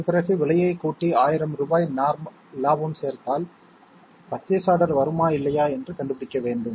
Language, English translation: Tamil, And then by adding up the price and adding a profit of 1000 rupees, we have to find whether we will win the purchase order or not